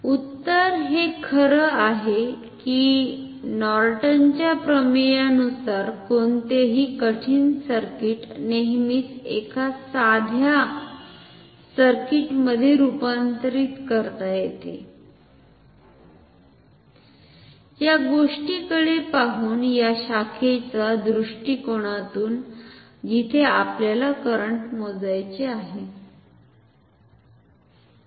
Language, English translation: Marathi, The answer lies in the fact that according to Norton’s theorem any complicated circuit can always be reduced in a simple circuit, looking from; looking from the this bit looking from the perspective of this branch between so, where we want to measure the current